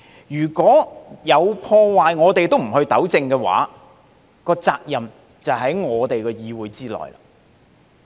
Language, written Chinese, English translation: Cantonese, 如果有破壞，我們都不糾正，責任就在於議會。, If we do not do anything to rectify the damage they have done we in the legislature must be held responsible